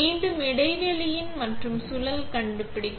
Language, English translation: Tamil, Again find the recess and the spindle